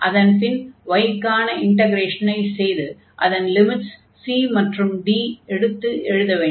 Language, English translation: Tamil, So, we will integrate with respect to y then and y the limits will be c to d